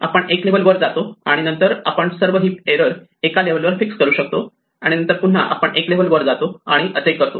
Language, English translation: Marathi, We go one level above and then we can fix all heap errors at one level above right and then again we move one level above and so on